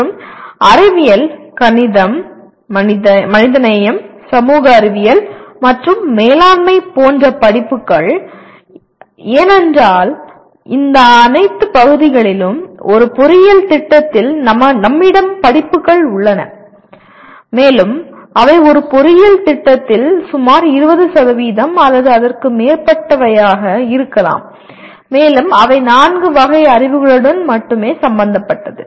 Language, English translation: Tamil, And courses in sciences, mathematics, humanities, social sciences and management, because we have courses in all these areas in an engineering program and they do constitute something like about maybe 20% or even more in an engineering program and they are concerned with only four categories of knowledge